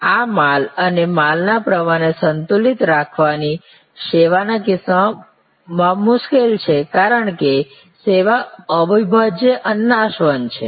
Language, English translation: Gujarati, This stock and flow counter balancing is difficult in case of service, because service is inseparable, service is perishable